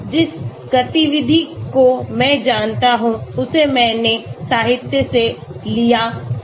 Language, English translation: Hindi, the activity I know I took it up from the literature